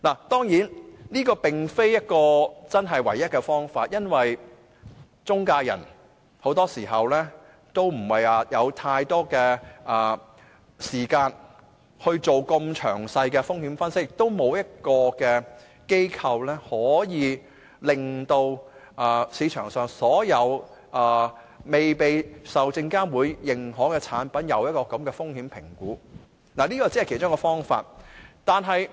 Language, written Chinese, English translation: Cantonese, 當然，這並非唯一的方法，因為很多時候，中介人不會有太多時間做這麼詳細的風險分析，亦沒有機構可以就市場上所有未被證監會認可的產品，做這樣的風險評估，所以，這只是其中一個方法。, Obviously we should not rely solely on this approach because very often intermediaries do not have much time to conduct detailed risk assessments and also no institutions can possibly assess the risks of all market investment products requiring no authorization from SFC . So this tactic should just be one of the solutions